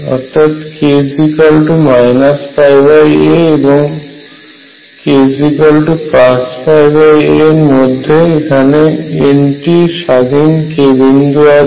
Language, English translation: Bengali, So, between k equals minus pi by a and k equals pi by a, there are n independent k points